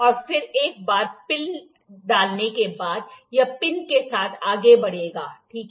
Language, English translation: Hindi, And once the pin is inserted, it will move along the pin, ok